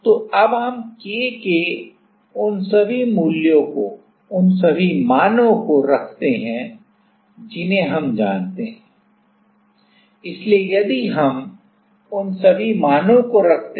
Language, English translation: Hindi, So, now, we put all those values K also we know right